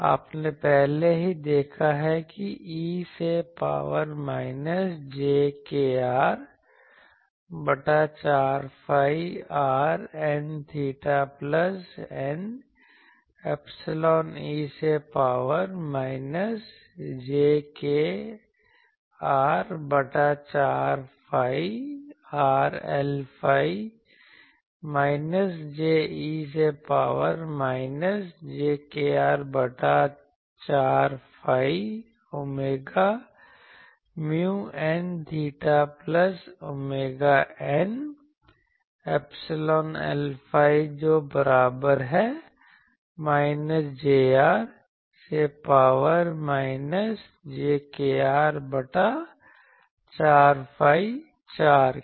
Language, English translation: Hindi, You have already seen nu e to the power minus jkr by 4 phi r N theta plus eta epsilon e to the power minus jkr by 4 phi r L phi is equal to minus j e to the power minus jkr by 4 phi r omega mu N theta plus omega eta epsilon sorry L phi is equal to minus j e to the power minus jkr by 4 phi r